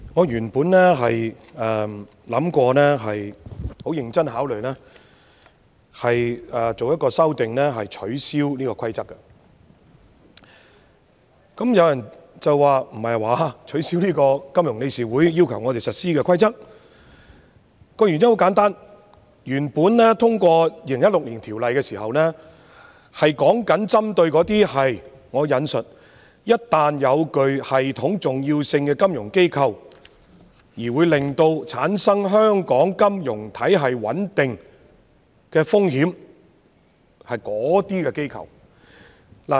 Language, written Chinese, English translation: Cantonese, 原因很簡單，本來我們在2016年通過《金融機構條例》時旨在針對："一旦具系統重要性的金融機構......會對香港金融體系的穩定......構成風險"這類機構。, The reason is very simple when we initially passed the Financial Institutions Resolution Ordinance FIRO in 2006 it was targeted at the institutions described in the following phrase I quote the risks posed by the non - viability of systemically important financial institutions to the stability of the financial system of Hong Kong